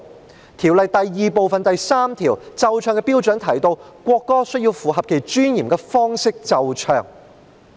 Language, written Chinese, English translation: Cantonese, 《國歌條例草案》第2部第3條"奏唱的標準"提到，國歌須以符合其尊嚴的方式奏唱。, Under clause 3 of Part 2 of the National Anthem Bill the heading of which is Standard for playing and singing the national anthem must be played and sung in a way that is in keeping with its dignity